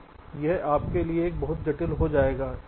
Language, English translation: Hindi, ok, so this will become too complicated for you